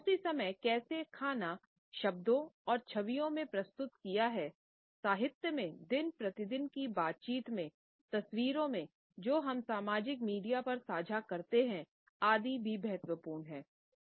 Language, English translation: Hindi, At the same time how food is presented in words and images, in literature, in our day to day dialogue, in the photographs which we share on social media etcetera is also important